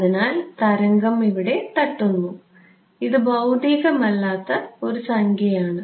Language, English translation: Malayalam, So, the wave hits over here and this is unphysical numerical ok